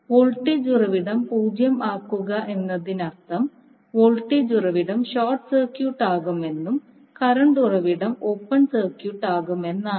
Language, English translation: Malayalam, Setting voltage source equal to 0 means the voltage source will be short circuited and current source will be the open circuited